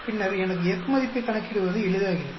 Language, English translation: Tamil, Then it becomes easy for me to calculate F value